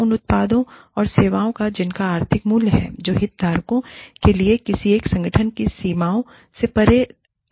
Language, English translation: Hindi, Of products and services, that have economic value, that are beneficial for stakeholders, extending beyond the boundaries, of a single organization